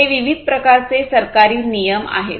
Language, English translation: Marathi, So, these are the different types of government regulations